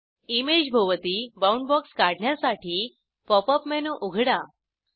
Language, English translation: Marathi, To draw a bound box around the image, open the Pop up menu